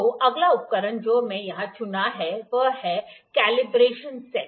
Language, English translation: Hindi, So, next instrument I have picked here is the combination set